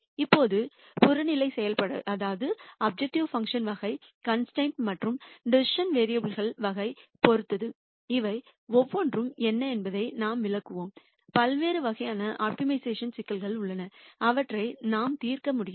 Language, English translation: Tamil, Now, depending on the type of objective function, type of constraints and the type of decision variables, we will explain what each one of these are, there are different types of optimization problems that we could solve